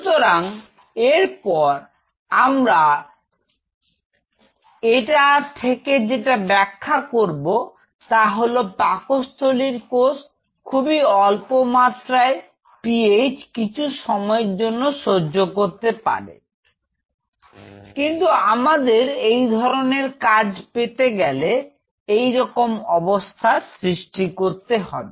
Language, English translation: Bengali, So, then what we interpret from this is the cells in the stomach can withstand a very low PH for a transient period of time, but in order to regain that kind of activity we have to create such a situation